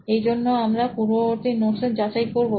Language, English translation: Bengali, So verification of previous notes